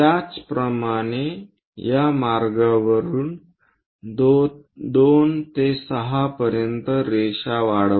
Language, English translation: Marathi, Similarly, extend 2 to 6 all the way up along this line